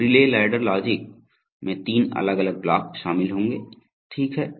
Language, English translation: Hindi, So the relay ladder logic will consist of three different blocks, okay